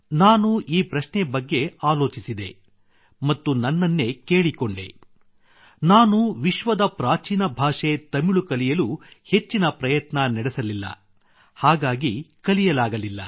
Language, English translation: Kannada, I pondered this over and told myself that one of my shortcomings was that I could not make much effort to learn Tamil, the oldest language in the world ; I could not make myself learn Tamil